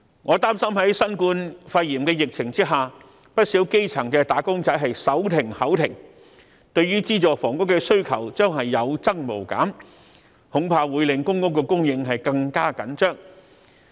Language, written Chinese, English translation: Cantonese, 我擔心在新冠肺炎的疫情下，不少基層"打工仔"手停口停，對資助房屋的需求將會有增無減，恐怕令公共租住房屋供應更加緊張。, I am worried that under the novel coronavirus epidemic many wage earners have to live from hand to mouth and the demand for subsidized housing will be driven up thus aggravating the already tight supply of public rental housing